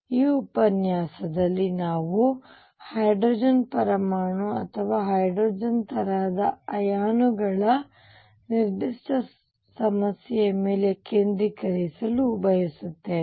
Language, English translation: Kannada, In this lecture we want to focus on a specific problem of the hydrogen atom or hydrogen like ions